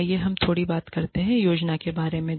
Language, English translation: Hindi, Let us talk a little bit about, planning